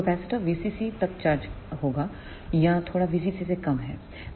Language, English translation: Hindi, So, the capacitor will charge up to the voltage V CC or slightly less than V CC